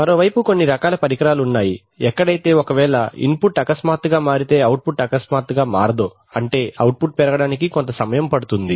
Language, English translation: Telugu, On the other hand there are some kinds of instruments where the, where if the input changes suddenly the output cannot change suddenly they output take some time to rise